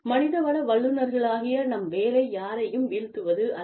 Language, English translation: Tamil, Our job, as HR professionals, is not to put down, anyone